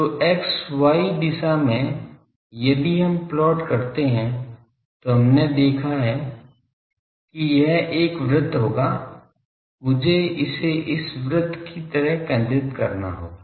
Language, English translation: Hindi, So, in the x y direction if we plot we have seen that that will be a circle; sorry I will have to center it like this circle